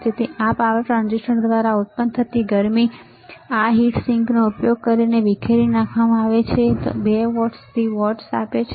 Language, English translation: Gujarati, So, the heat generated by this power transistor is dissipated using this heat sink, this is for 2 watts to watts